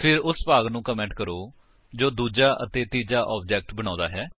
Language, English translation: Punjabi, Then comment the part which creates the second and third objects